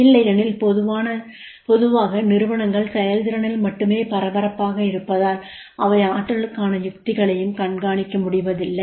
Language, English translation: Tamil, Otherwise normally the organizations are busy in performance only and they are not able to track the strategies for the potential is there